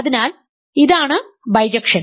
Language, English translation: Malayalam, So, this is the bijection ok